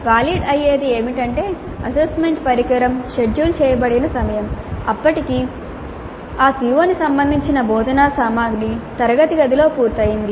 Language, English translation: Telugu, By valid what we mean is that the time at which the assessment instrument is scheduled by the time the instructional material related to the COO has been completed in the classroom